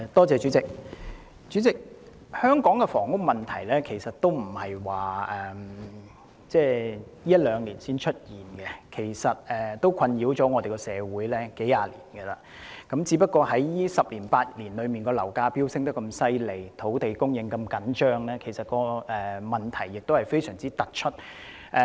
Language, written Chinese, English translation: Cantonese, 主席，香港的房屋問題並非近一兩年才出現，其實已困擾社會數十年，只是在最近10年、8年，樓價飆升、土地供應緊張，令問題非常突出。, President the housing problem in Hong Kong has arisen not only over the last couple of years . In fact it has troubled society for several decades . It is just because the problem has become pronounced in the past 10 or eight years with soaring property prices and scarcity of land supply